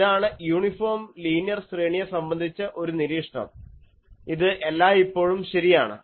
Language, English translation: Malayalam, So, this is one of the observation for an uniform linear array, it is always true